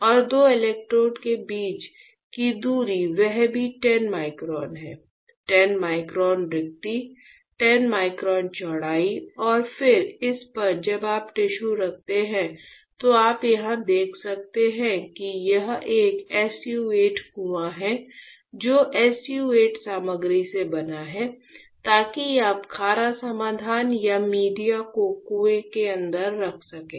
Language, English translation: Hindi, And distance between two electrodes which is this one is also 10 microns; 10 micron spacing, 10 microns width and then on this when you place the tissue this you can see here this is a SU 8 well is made up of SU 8 material so that you can hold the saline solution or media inside the well